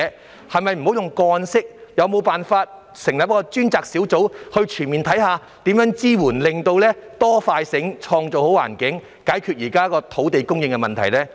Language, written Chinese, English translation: Cantonese, 政府可否停用個案形式處理，而成立專責小組全面審視如何提供支援，以期可以"多、快、醒，創造好環境"，解決現時的土地供應問題呢？, Can the Government dispense with the case - by - case approach and instead set up a task force for a comprehensive review of the possible ways to provide support so as to create good conditions with greater efforts and speed in a smarter way for resolving the existing problem with land supply?